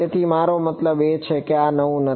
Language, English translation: Gujarati, So, I mean yeah this is not new